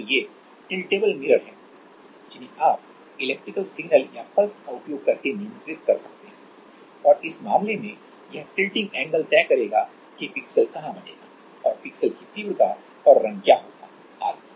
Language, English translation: Hindi, So, these are tiltable mirrors which tilting angle you can control using electrical signals or pulses and in this case, this tilting angle will decide that where the pixel will form and what will be the intensity and colour of the pixel etc